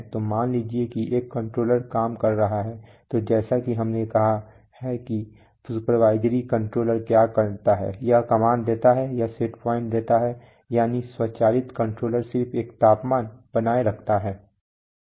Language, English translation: Hindi, So suppose one controller is working so as we have said that what does the supervisory controller do, it gives command, it gives set point that is the automatic controller just maintains a temperature